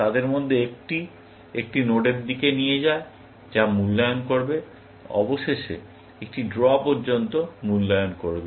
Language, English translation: Bengali, One of them leads to a node, which will evaluate, eventually, evaluate to a draw